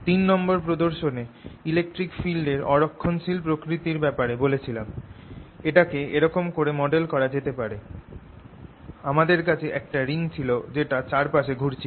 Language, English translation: Bengali, third, i showed you the non conservative nature of the electric field produce and i can model it like this: that in this field i had ring going around